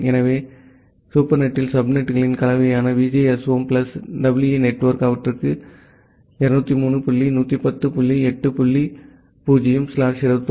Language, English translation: Tamil, And so, the VGSOM plus EE network that is the combination of that subnets the supernet, they have the address of 203 dot 110 dot 8 dot 0 slash 21